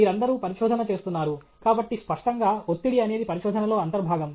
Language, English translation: Telugu, All of you are doing research; so, obviously, stress is an integral part of research